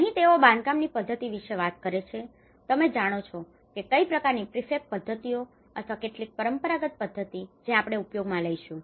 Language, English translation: Gujarati, And here they talk about the construction methods; you know what kind of methods, prefab methods are we going to use, or some traditional methods we are going to use